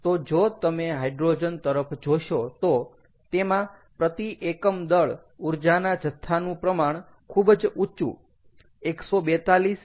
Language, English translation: Gujarati, so if you look at hydrogen, the energy content per unit mass is very high, one forty two mega joules per kg